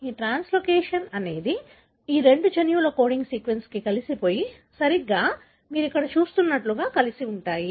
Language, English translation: Telugu, This translocation happens such a way that these two, the coding sequence of these two genes are fused together, right, like what you see here